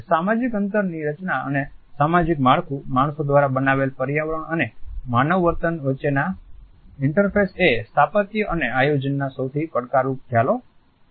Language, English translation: Gujarati, The design of a social space the interface between social structure, built environment and human behaviour is one of the most challenging concepts of architectural and planning